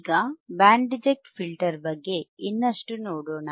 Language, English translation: Kannada, Now, for Band Reject Filter, we have an example